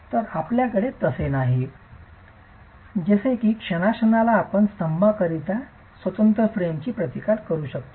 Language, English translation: Marathi, So, you do not have like you would have in a moment resisting frame a separate footing for the columns